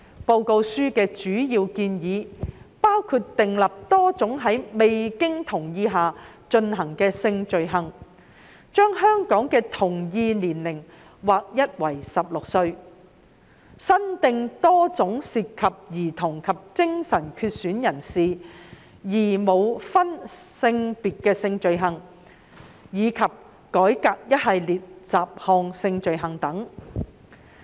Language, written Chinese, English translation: Cantonese, 報告書的主要建議包括訂立多種在未經同意下進行的性罪行、將香港的同意年齡劃一為16歲、增訂多種涉及兒童及精神缺損人士而無分性別的性罪行，以及改革一系列雜項性罪行等。, The main recommendations in the report include the creation of a range of non - consensual sexual offences a uniform age of consent in Hong Kong of 16 years old the creation of a range of new sexual offences involving children and persons with mental impairment which are gender neutral and the reform of a series of miscellaneous sexual offences